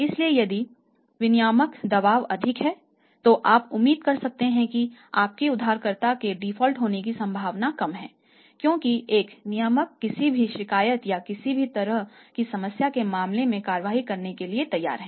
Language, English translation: Hindi, So, it is the regulatory pressure is high you can expect that your borrower less likely to default because a regulator is going to take the action in case of any complaint or any kind of the problem